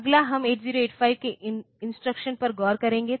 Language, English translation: Hindi, Next we will look into the instructions of 8085